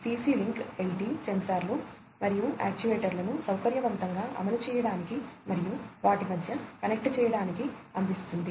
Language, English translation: Telugu, CC link LT provides convenient implementation of sensors and actuators and connecting between them